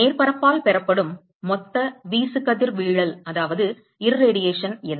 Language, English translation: Tamil, What is the total radiation that is received by the surface